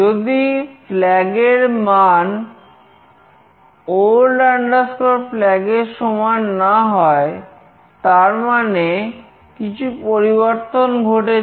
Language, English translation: Bengali, If flag not equals to old flag, there is a change